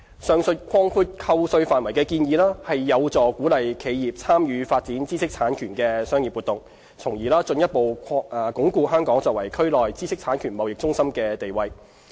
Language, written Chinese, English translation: Cantonese, 上述擴闊扣稅範圍的建議，有助鼓勵企業參與發展知識產權的商業活動，從而進一步鞏固香港作為區內知識產權貿易中心的地位。, The proposed expansion of the scope of tax deduction helps to encourage enterprises to engage in the development of IP - related business thus reinforcing Hong Kongs status as a regional IP trading hub